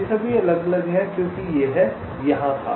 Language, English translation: Hindi, they are all distinct as it was here